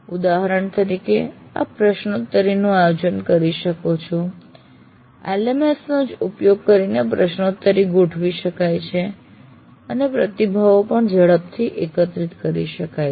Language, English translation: Gujarati, The quiz itself can be organized and conducted using a LMS and the responses can be collected quickly